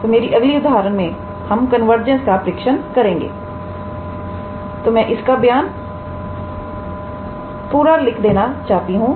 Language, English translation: Hindi, Next example is we test the convergence so, I am not writing the whole statement